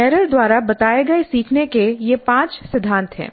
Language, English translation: Hindi, So these are the five principles of learning as stated by Merrill